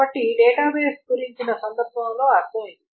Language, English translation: Telugu, So that is the context in the database